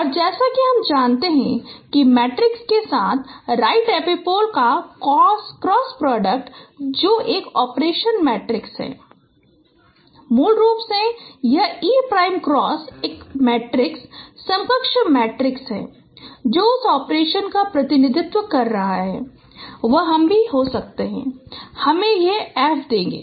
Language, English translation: Hindi, And as you know that the cross product of right epipole with the matrix, that's an operation, matrix operation, basically this E prime cross is a matrix equivalent matrix which is representing that operation